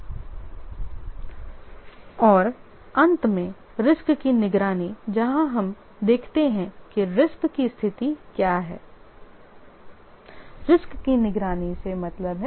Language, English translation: Hindi, And finally the risk monitoring where we see that what is the status of the risk